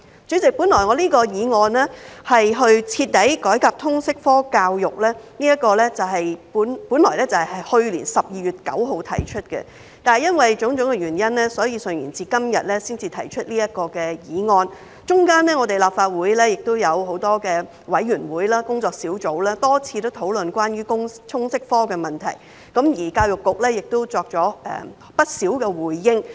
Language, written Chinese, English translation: Cantonese, 主席，我這項題為"徹底改革通識教育科"的議案本應在去年12月9日提出，但由於種種原因順延至今天才提出，其間立法會有很多委員會、工作小組多次討論關於通識科的問題，而教育局也作出了不少回應。, President my motion entitled Thoroughly reforming the subject of Liberal Studies should have been moved in 9 December last year but for various reasons it was deferred until today . In the meantime many committees and working groups of the Legislative Council have discussed the issue of Liberal Studies LS and the Education Bureau has also made many responses